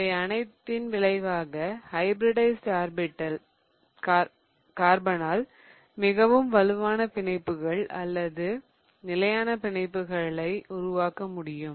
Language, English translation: Tamil, As a result of all of this, what carbon really achieves by doing hybridization is that it can form now stronger bonds or more stable bonds as it undergoes bonding